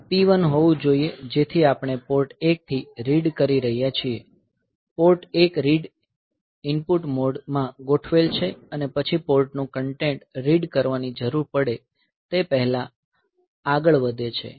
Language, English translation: Gujarati, So, this should be P 1, so that we are reading from Port 1, Port 1 is configured in read input mode then move no before this I need to read the content of the port